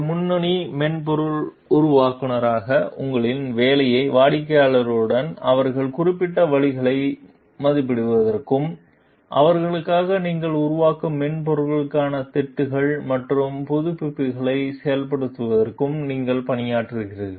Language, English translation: Tamil, In your job as a lead software developer you work with clients to assess their specific means and implement patches and updates to the software that you have developed for them